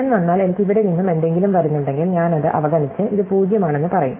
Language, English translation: Malayalam, So, if I come, if I have something coming from here and here I will just ignore it and say this is 0